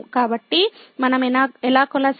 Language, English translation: Telugu, So, how do we proceed